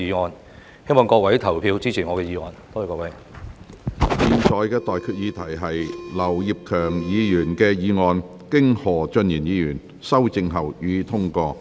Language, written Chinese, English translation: Cantonese, 我現在向各位提出的待決議題是：劉業強議員動議的議案，經何俊賢議員修正後，予以通過。, I now put the question to you and that is That the motion moved by Mr Kenneth LAU as amended by Mr Steven HO be passed